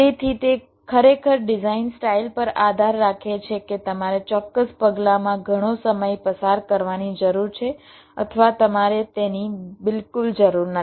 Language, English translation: Gujarati, so it really depends on the design style whether you need to spend lot of time in certain steps or you do not need that at all